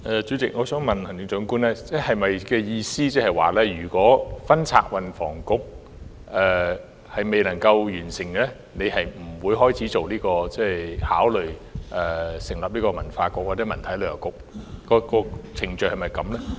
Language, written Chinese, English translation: Cantonese, 主席，我想問行政長官，她的意思是否指，如果分拆運房局的工作未能完成，她便不會考慮成立文化局或文體旅遊局。, President may I ask the Chief Executive if she means that she will not consider setting up a Culture Bureau or a Culture Sports and Tourism Bureau before the splitting of the Transport and Housing Bureau has been completed?